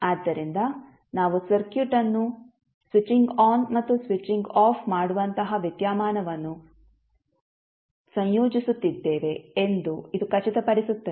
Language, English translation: Kannada, So, this makes sure that we are incorporating the phenomenons like switching on and switching off the circuit